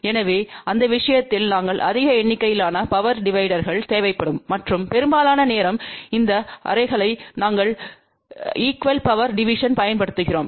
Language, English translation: Tamil, So, in that case we will need large number of power dividers and majority of the time we feed these arrays using equal power division